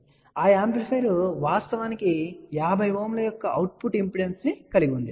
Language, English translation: Telugu, So, that amplifier actually has an output impedance of 50 Ohm